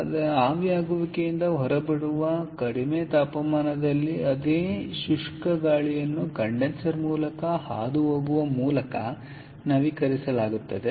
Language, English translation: Kannada, so therefore, the same dry air at a lower temperature coming out of the evaporator is upgraded by passing it over the condenser